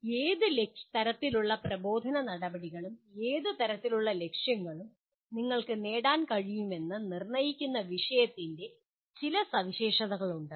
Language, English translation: Malayalam, So there is some features of the subject that determine what kind of instructional procedures and what kind of objectives that you can achieve